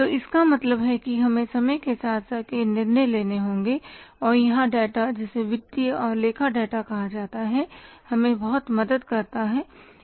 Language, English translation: Hindi, So it means we will have to take many decisions over a period of time and here the data which is called as financial and accounting data that helps us a lot